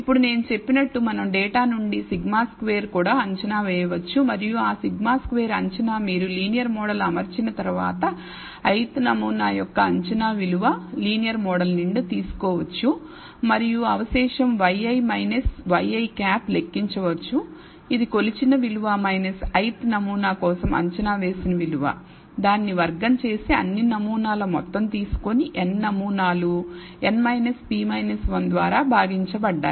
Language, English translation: Telugu, Now, we can also estimate as I said sigma squared from the data and that sigma squared estimate is nothing but the after you fit the linear model you can take the predicted value for the ith sample from the linear model and compute this residual y i minus y i hat which is the measured value minus the predicted value for the ith sample, square it take the sum or all possible samples, n samples, divided by n minus p minus 1